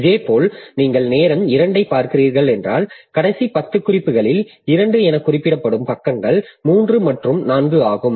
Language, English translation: Tamil, Similarly, if you are looking at time T2, then over the last 10 references, the pages that are referred to are 3 and 4